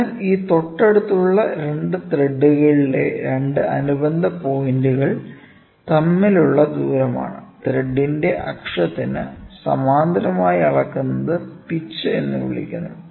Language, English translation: Malayalam, It is a distance between 2 corresponding points on adjacent threads, ok, measured parallel to the axis of the thread is called the pitch